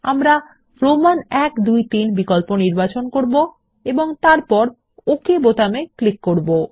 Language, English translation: Bengali, We will choose Roman i,ii,iii option and then click on the OK button